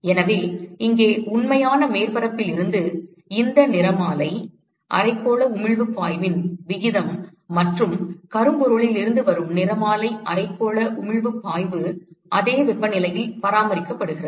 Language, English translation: Tamil, So, here it is the ratio of these spectral hemispherical emissive flux from the real surface and the spectral hemispherical emissive flux from the blackbody which is maintained at the same temperature